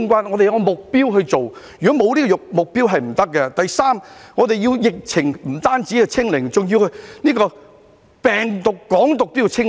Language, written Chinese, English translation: Cantonese, 我們要訂下目標，沒有目標是不行的；第三，我們不單要疫情"清零"，病毒、"港獨"也要"清零"。, A goal must be set and we cannot do without it . Third we must not only get rid of the epidemic but also other viruses and Hong Kong independence